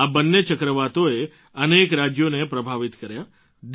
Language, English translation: Gujarati, Both these cyclones affected a number of States